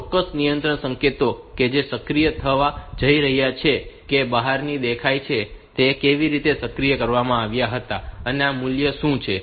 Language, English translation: Gujarati, So, exact control signals that are going to be activated that are visible from the outside, how were activated and what are the values